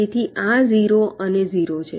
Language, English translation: Gujarati, so it is zero and zero